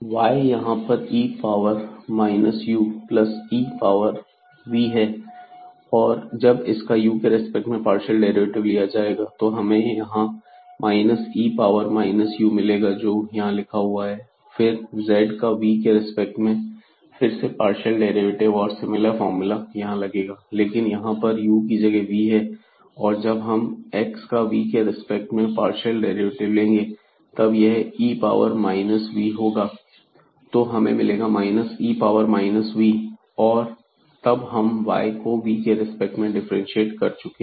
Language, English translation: Hindi, So, it we will get here minus e power minus u which is the term here and now the partial derivative of z with respect to v again the similar formula, but instead of u we have v here and then when we take the partial derivative of x with respect to v